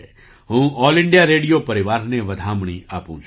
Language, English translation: Gujarati, I congratulate the All India Radio family